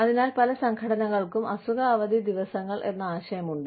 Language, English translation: Malayalam, So, but, many organizations, have this concept, of having sick leave days